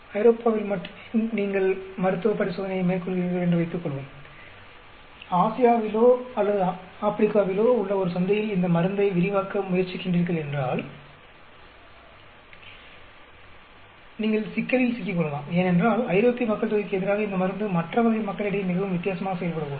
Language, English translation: Tamil, Suppose you carry out clinical trial only in say Europe, and you tried to extend this drug in a market in Asia or Africa, you could get into trouble because the drug may be acting very differently on the other type of population as against the European population